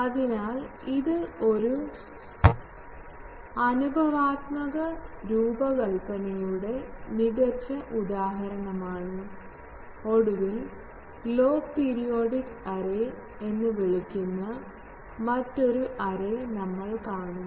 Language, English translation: Malayalam, So, this is a good example of an empirical design, and then finally, we will see another array that is called log periodic array